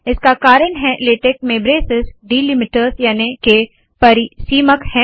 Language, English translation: Hindi, This is because, braces are delimiters in latex